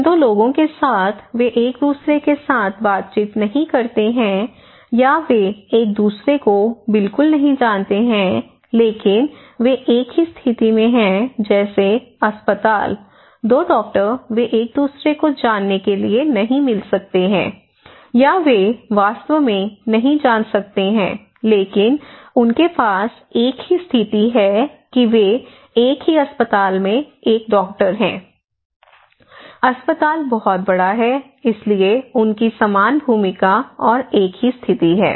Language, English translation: Hindi, The 2 people they do not interact with each other or they may not know each other at all, but they belong to same position like in a hospital, 2 doctors, they may not meet to know each other, or they may not know actually, but they have a same position that they are a doctor in a same hospital, the hospital is very big so, they have same role and same positions